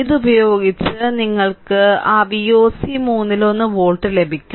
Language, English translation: Malayalam, So, with this you will get that V oc is equal to one third volt right